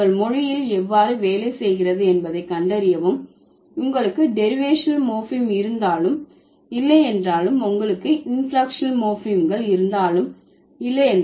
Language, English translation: Tamil, The, figure it out how it works in your language whether you have derivational morphems or not, whether you have inflectional morphems or not